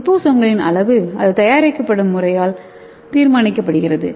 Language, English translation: Tamil, And the sizes of the liposomes are determined by the preparation methods